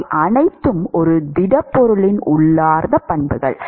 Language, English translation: Tamil, They are all intrinsic properties of a solid